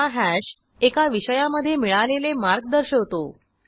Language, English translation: Marathi, This hash indicates the marks obtained in a subject